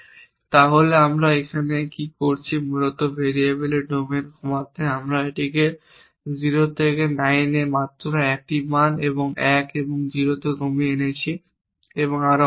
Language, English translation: Bengali, So, what are we doing here basically reducing the domains of the variable we have reduce this from 0 to 9 to just 1 value 1 and just to 0 and so on so forth